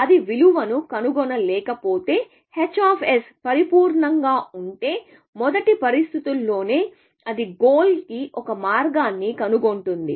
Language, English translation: Telugu, If it does not find the value, if h of s was perfect, then within the first situation itself, it would have found a path to the goal